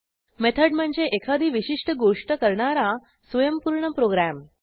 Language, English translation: Marathi, A Method is a self contained program executing a specific task